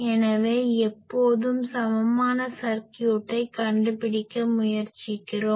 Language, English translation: Tamil, So, that is the reason we always try to find the equivalent circuit